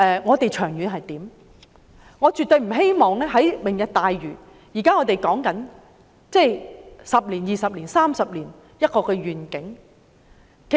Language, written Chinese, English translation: Cantonese, 我們現在說的"明日大嶼"，是未來10年、20年、30年的一個願景。, Lantau Tomorrow now under discussion is the vision for the next decade two decades and three decades